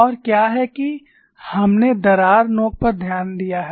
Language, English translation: Hindi, And what is that we noted at the crack tip